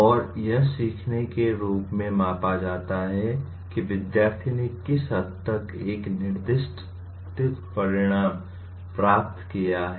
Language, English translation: Hindi, And learning is measured in terms of to what extent a specified outcome has been attained by the student